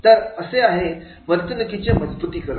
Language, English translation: Marathi, So, this is the reinforcement of behavior